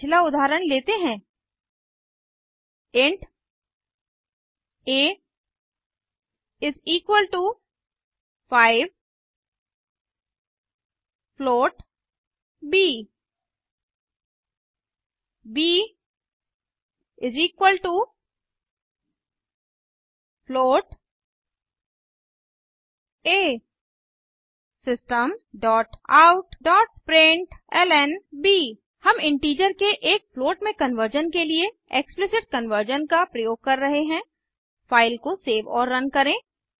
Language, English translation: Hindi, int a =5, float b, b = a System.out.println We are using Explicit conversion to convert integer to a float Save the file and Run it